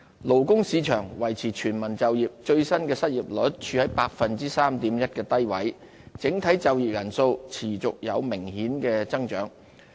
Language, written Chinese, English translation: Cantonese, 勞工市場維持全民就業，最新的失業率處於 3.1% 的低位，整體就業人數持續有明顯的增長。, The labour market remained in a state of full employment . The latest unemployment rate stayed low at 3.1 % while total employment registered further significant growth